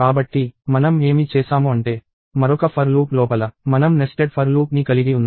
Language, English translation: Telugu, So, what we have done is we have nested a for loop inside another for loop